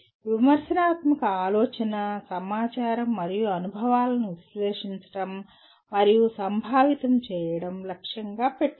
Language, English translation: Telugu, The critical thinking aims at analyzing and conceptualizing information and experiences